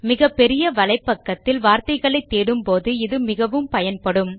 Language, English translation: Tamil, This function is very useful when searching through large text on a webpage